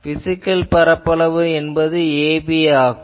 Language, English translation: Tamil, Physical area is ab